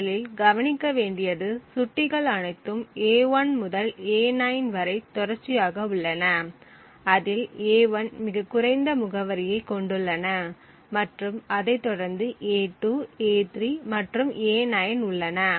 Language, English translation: Tamil, So, the first thing to notice is that all of these pointers a1 to a9 are contiguous with a1 having the lowest address followed by a2, a3 and so on till a9